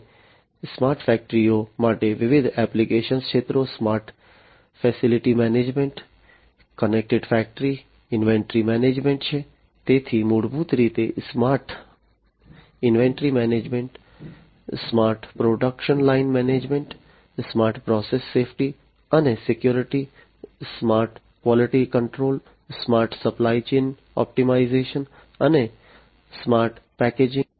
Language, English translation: Gujarati, And the different application areas for the smart factories are smart facility management, connected factory, inventory management, so basically smart inventory management, smart production line management, smart process safety and security, smart service quality control, smart supply chain optimization, and smart packaging and management